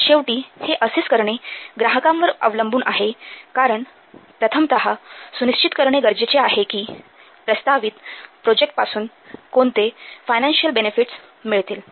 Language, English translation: Marathi, So, in the end, it is up to the client to assess this because first we have to see what financial, what benefits will get out of the proposed project